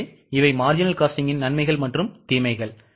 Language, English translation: Tamil, So, these were the advantages and disadvantages of marginal costing